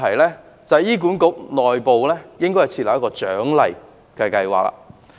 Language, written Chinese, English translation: Cantonese, 此外，醫管局內部應設立獎勵計劃。, Furthermore HA should put in place an internal incentive scheme